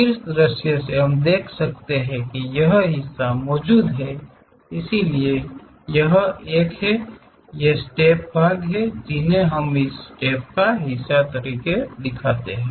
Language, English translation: Hindi, From top view we can see that, this part is present so this one, these are the parts of the steps which we can see it part of the steps